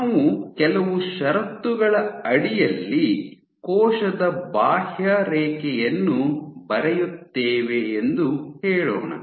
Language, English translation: Kannada, Now, let us say that we draw the outline of a cell under some condition if you see